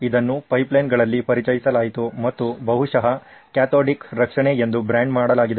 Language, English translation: Kannada, It was introduced in pipelines and probably branded as cathodic protection